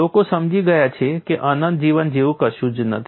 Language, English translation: Gujarati, People have understood that nothing like an infinite life